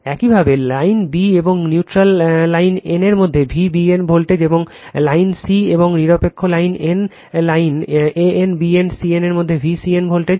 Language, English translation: Bengali, Similarly, V b n voltage between line b and neutral line n, and V c n voltage between line c and neutral line n right line right a n, b n, c n